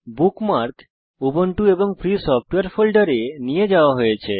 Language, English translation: Bengali, The bookmark is moved to the Ubuntu and Free Software folder